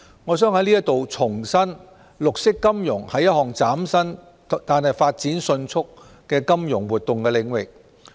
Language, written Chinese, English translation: Cantonese, 我想就此重申，綠色金融是一項嶄新但發展迅速的金融活動領域。, I would like to reiterate here that green finance is a brand new but rapidly developing area of financial activity